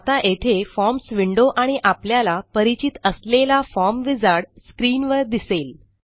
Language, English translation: Marathi, This opens the Forms window and the now familiar wizard on top